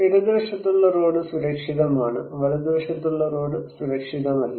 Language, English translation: Malayalam, This road; left hand side road is safe; right hand side road is unsafe